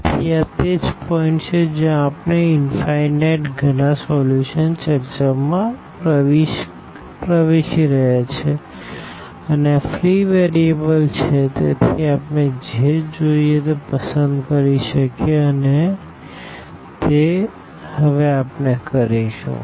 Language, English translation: Gujarati, So, this is exactly the point where we are entering into the discussion of the infinitely many solutions and since this is free variable so, we can choose anything we want and that is what we will do now